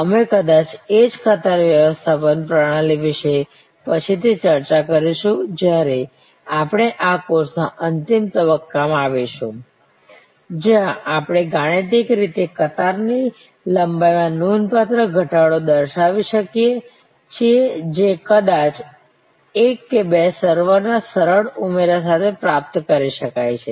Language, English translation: Gujarati, We will discuss perhaps the same queue management system later on when we come to the closing stage of this course, where we can mathematically show the significant reduction in queue length that can be achieved with simple addition of maybe one or two servers